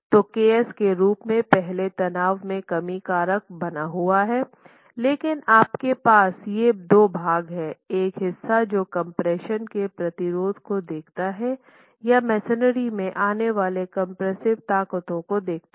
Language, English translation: Hindi, That is your slenderness stress reduction factor but you have these two parts, a part that looks at the resistance to compression or compressive forces coming from the masonry